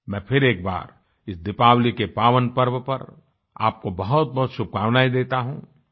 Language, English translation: Hindi, I once again wish you all the very best on this auspicious festival of Diwali